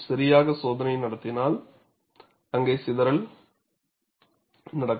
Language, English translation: Tamil, Any properly conducted test would have scatter